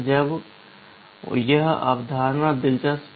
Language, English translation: Hindi, Now this concept is interesting